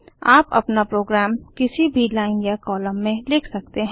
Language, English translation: Hindi, You can start writing your program from any line and column